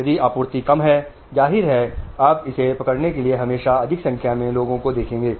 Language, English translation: Hindi, If the supply is less, obviously you will always see there is more number of people to catch it